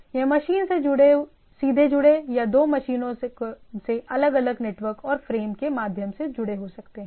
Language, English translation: Hindi, It can be machine to machines directly connected or two machines connected through different are different network and frame